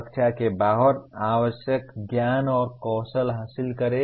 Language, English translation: Hindi, Acquire the required knowledge and skills outside classroom